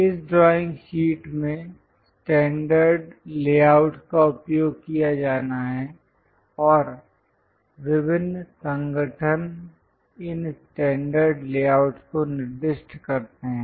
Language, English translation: Hindi, In this drawing sheet layout standard layouts has to be used and these standard layouts are basically specified by different organizations